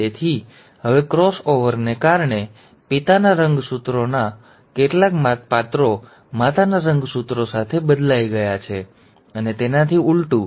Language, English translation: Gujarati, So now because of the cross over, some characters of the father’s chromosome have been exchanged with the mother’s chromosome and vice versa